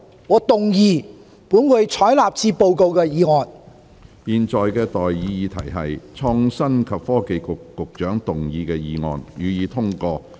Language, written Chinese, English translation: Cantonese, 我現在向各位提出的待議議題是：創新及科技局局長動議的議案，予以通過。, I now propose the question to you and that is That the motion moved by the Secretary for Innovation and Technology be passed